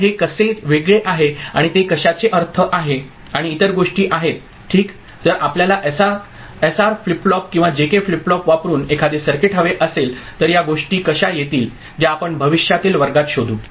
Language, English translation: Marathi, So, this is how it differs and what is it is significance and other things ok, if we want to realise a circuit using SR flip flop or JK flip flop, how these things will come up that we shall explore in future classes